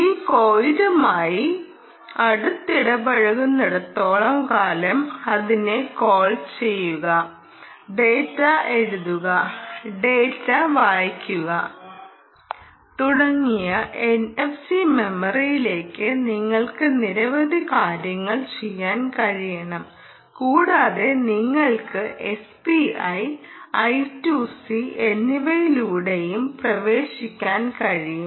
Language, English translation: Malayalam, as long as it is closely paired with this coil ah, you should be able to do several things by writing data, reading data and so on into the n f c memory, ok, and you can also access through s p i and i two c, you can also access the